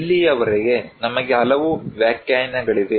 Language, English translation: Kannada, So far, we have so many definitions are there